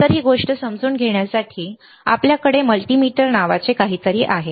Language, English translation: Marathi, So, to understand this thing we have something called multimeter